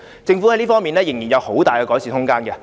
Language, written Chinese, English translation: Cantonese, 政府在這方面仍然有很大的改善空間。, The Government still has much room for improvement in this regard